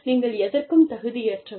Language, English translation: Tamil, You do not deserve, anything